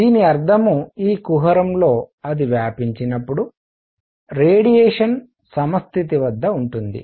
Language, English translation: Telugu, This means in this cavity as it expands, the radiation remains at equilibrium